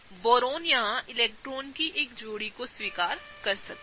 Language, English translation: Hindi, Boron here can accept a pair of electrons